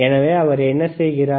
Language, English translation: Tamil, So, what he is doing